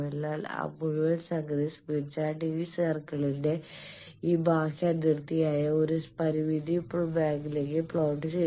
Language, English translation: Malayalam, But that whole thing smith chart is plotting into a finite zone, this outer boundary of this circle